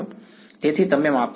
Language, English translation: Gujarati, So, that you measure the